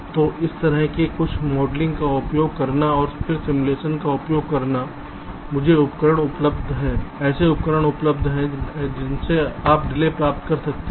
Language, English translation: Hindi, so so, using some modeling like this and then using simulation, there are tools available